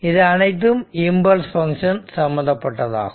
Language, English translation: Tamil, So, this is all regarding impulse function